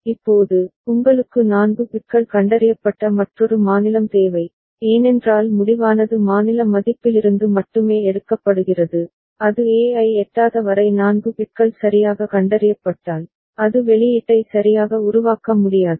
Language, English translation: Tamil, Now, you need another state which is 4 bits detected, because the decision is taken from the state value only, unless it reaches e that means 4 bits properly detected, it cannot generate the output ok